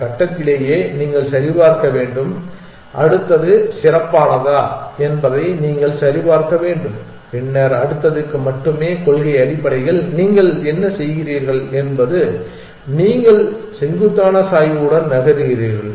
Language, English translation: Tamil, You should have the check at this stage itself that you should check whether next is better and then only move to the next in principle what you are doing is you are moving along the steepest gradient